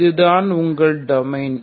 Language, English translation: Tamil, Where is that domain